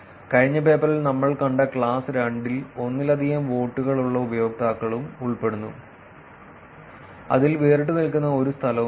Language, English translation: Malayalam, And the class 2 as we have seen in the last paper also consists of users with multiple votes in which there is no single location that stands out